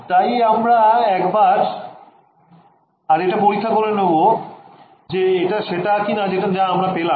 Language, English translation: Bengali, So, we are just check this once again if this is what we will get yeah